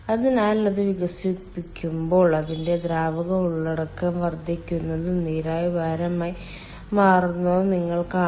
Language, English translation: Malayalam, so then you will see, as it expands its ah, ah, liquid content increases and the vapor becomes weight